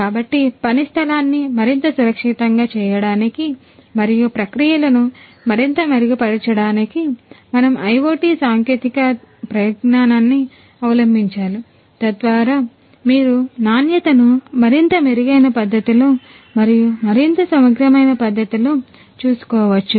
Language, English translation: Telugu, So, can we adopt the IoT technologies in order to make the work place much more safe and also the processes much more improved, so that you can you can take care of the quality overall in a much more improved manner and in a much more integrated manner